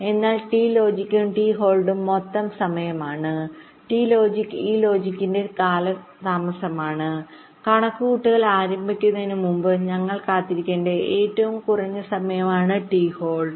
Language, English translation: Malayalam, ok, t logic is the delay of this logic and t hold is a minimum time we should wait before we should, ah, start the calculation